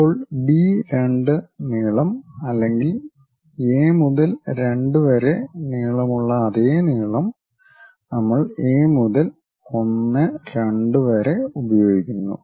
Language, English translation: Malayalam, Then whatever B 2 length is there or A to 2 length the same length we use it from A to 1 2